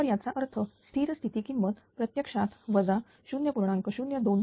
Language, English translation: Marathi, So; that means, steady state value will come actually minus 0